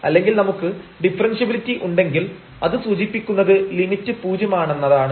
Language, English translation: Malayalam, Or if we have differentiability it will imply that this limit is 0, and this limit 0 will imply differentiability